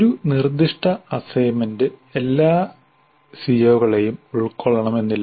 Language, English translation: Malayalam, Once again a specific assignment may not cover all the COs